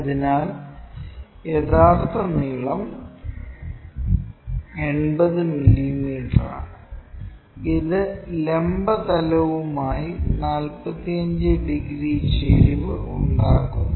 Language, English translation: Malayalam, So, true length is 80 mm and it makes 45 degrees inclination with the vertical plane